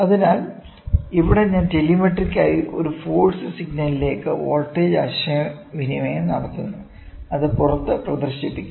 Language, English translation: Malayalam, So, here I am telemetrically communicating the voltage into a force signal which is displayed outside